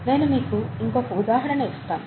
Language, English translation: Telugu, Let me give you one more example